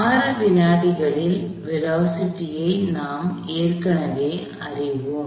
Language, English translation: Tamil, We already know the velocity at 6 seconds